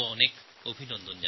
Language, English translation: Bengali, Thank you very much to you all